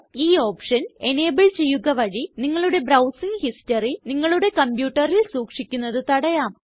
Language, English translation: Malayalam, Enabling this option means that the history of your browsing will be not be retained in your computer